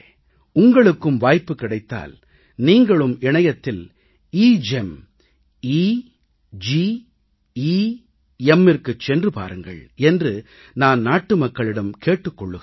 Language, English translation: Tamil, Here I want to tell my countrymen, that if you get the opportunity, you should also visit, the EGEM, EGEM website on the Internet